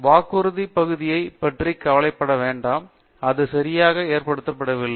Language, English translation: Tamil, DonÕt worry about the promise part; itÕs just not exactly loaded